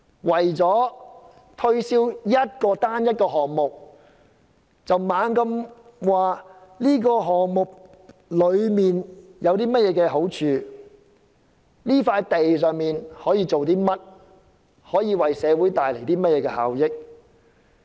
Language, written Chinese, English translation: Cantonese, 為了推銷單一個項目，不停地說該項目有多好，可以在那人工島興建甚麼，為社會帶來甚麼效益等。, In order to market a single project they keep praising how wonderful the project is what can be built on the artificial islands and what benefits will be brought to the community